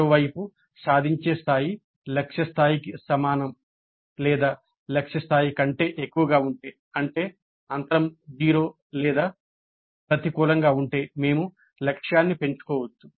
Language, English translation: Telugu, On the other hand, if the attainment level is equal to the target level or is greater than the target level, that means if the gap is zero or negative, we could enhance the target